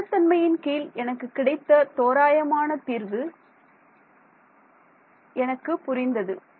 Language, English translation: Tamil, Under stability, the approximate solution that I got I made sense